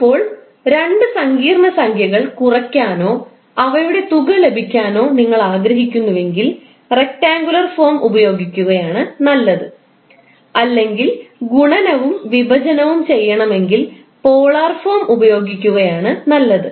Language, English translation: Malayalam, Now if you want to add or subtract the two complex number it is better to go with rectangular form or if you want to do multiplication or division it is better to go in the polar form